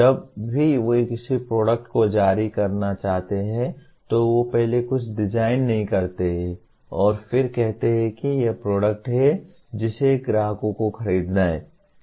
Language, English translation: Hindi, Whenever they want to release a product, they first do not design something and then say this is the product which the customers have to buy